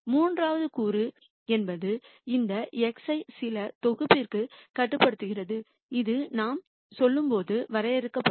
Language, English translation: Tamil, And the third component is the constraint which basically constrains this X to some set that will be de ned as we go along